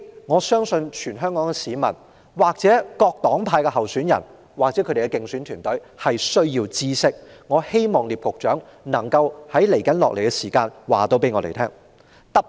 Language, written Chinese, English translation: Cantonese, 我相信這是全港市民、各黨派候選人及其競選團隊需要知道的事，我希望聶局長稍後能夠告訴我們。, This is something that Hong Kong people candidates of different political parties and their electioneering teams need to know . I urge Secretary NIP to give us the answer later